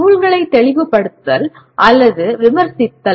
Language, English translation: Tamil, Clarifying or critiquing texts